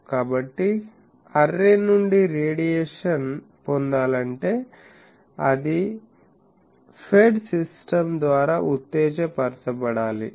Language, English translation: Telugu, So, in order to obtain radiation from the array, it must be excited by a fed system